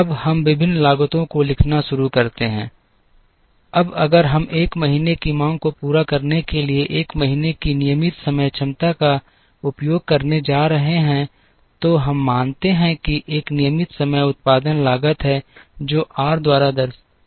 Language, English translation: Hindi, Now, we start writing the various costs, now if we are going to use the 1st month regular time capacity to meet the demand of the 1st month, then we assume that there is a regular time production cost which is given by R